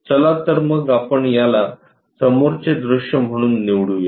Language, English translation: Marathi, So, let us use that one as the front view